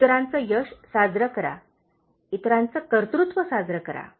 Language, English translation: Marathi, Celebrate other’s success, okay, celebrate other’s achievements